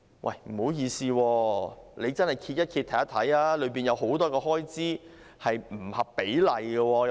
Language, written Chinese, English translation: Cantonese, 但是，不好意思，你們翻看一下，當中有很多開支是不合比例的。, However sorry to say but please read the documents and there are many expenditure items which are out of proportion